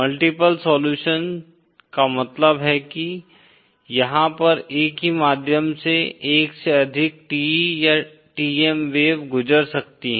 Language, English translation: Hindi, Multiple solutions means, there can be more than one TE or TM wave passing through the same medium